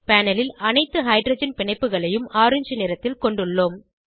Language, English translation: Tamil, On the panel, we have all the hydrogen bonds in orange color